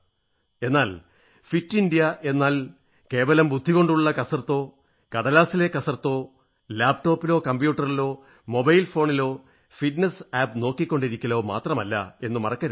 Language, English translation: Malayalam, But don't forget that Fit India doesn't mean just exercising the mind or making fitness plans on paper or merely looking at fitness apps on the laptop or computer or on a mobile phone